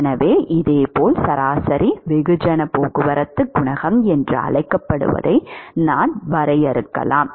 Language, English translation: Tamil, So, similarly we can define what is called the average mass transport coefficient